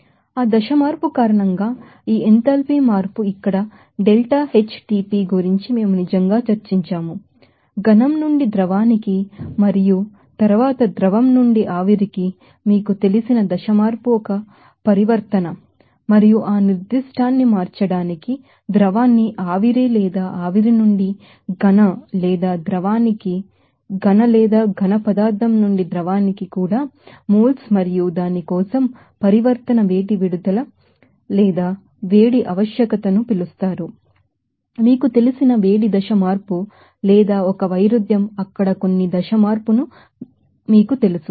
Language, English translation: Telugu, So, this enthalpy change because of that phase change it will be difficult to here deltaHTP we have actually discussed about that you know that phase change like you know from solid to liquid and then liquid to vapor there is a transition and for converting that certain moles of liquid to vapor or vapor to solid or even liquid to solid or solid to liquid and that transition heat release or heat requirement for that it is called you know that heat of you know phase change or a discord let it heat up you know certain phase change there